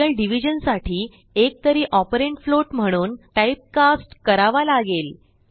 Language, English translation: Marathi, To perform real division one of the operands will have to be typecast to float